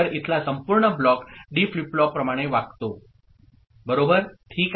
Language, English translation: Marathi, So, the entire block over here behaves like a D flip flop ok